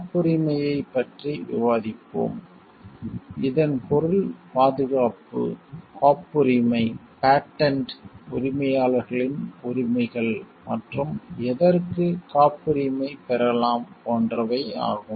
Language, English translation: Tamil, We will discuss about patent it is meaning protection, rights of patent owners, and what can be patented